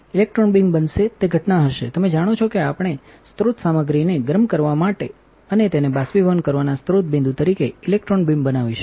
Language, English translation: Gujarati, Electron beam will be incident will be you know we will electron beam as a source point to heat the source material and evaporate it